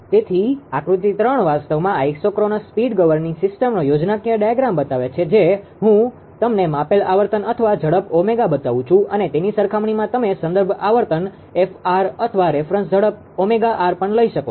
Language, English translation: Gujarati, So, figure 3 actually shows the schematic diagram of an isochronous speed governing system just I will showed you the measured frequency per speed omega you can take also is compared with the reference frequency F or reference speed omega r